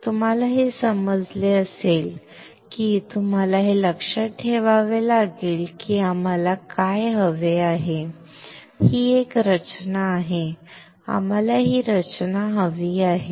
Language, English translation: Marathi, You understand this you have to remember what we want is this structure; we want to want to have this structure